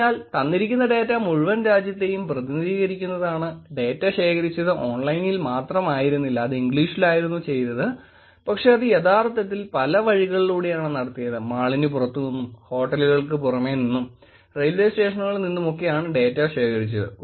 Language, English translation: Malayalam, So, given that distribution given that it represents the whole country and the data was not just collected only online, it was done it in English, but it was actually collected from, through many ways, meaning, standing outside in the mall, standing outside the hotel, in a railway station and the data was collected in these forms